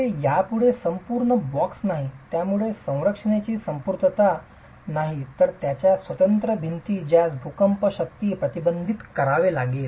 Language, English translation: Marathi, It is no longer the whole box, it is no longer the totality of the structure but its individual walls which will have to fend off the earthquake, earthquake forces